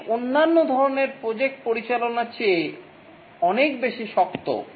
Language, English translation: Bengali, It is much harder than managing other types of projects